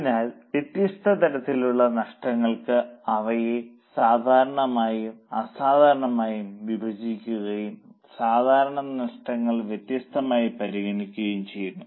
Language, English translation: Malayalam, So, for different types of losses, we divide them into normal and abnormal and normal losses are treated differently